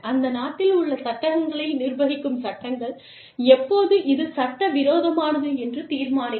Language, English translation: Tamil, The laws governing, the laws in that country, will determine, how much, and when this is considered, illegal